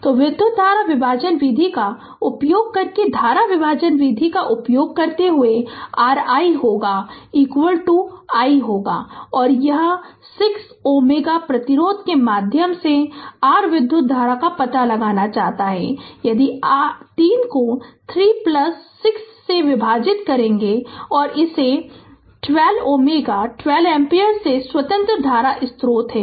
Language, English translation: Hindi, So, using current division method using current division method, your i will be is equal to ah i will be is equal to this is we want to find out the current through your 6 ohm resistance; that means, 3 divided by 3 plus 6 into this 12 ohm ah 12 ampere that independent current source is there